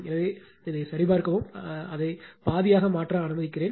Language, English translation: Tamil, So, just check just check it will let me let me make it half right